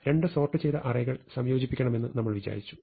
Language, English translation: Malayalam, So, supposing we want to merge these two sorted lists